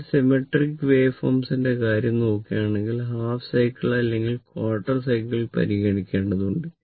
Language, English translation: Malayalam, For symmetrical waveform, you have to consider half cycle or even quarter cycle looking at this